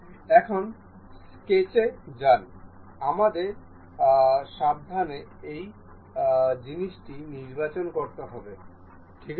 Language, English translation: Bengali, Now, go to sketch, we have to carefully select this thing ok